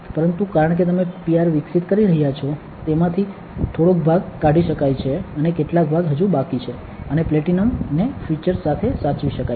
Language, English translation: Gujarati, But because you are developing the PR some part of it can be taken out and some part still remain and the platinum can be preserved with the features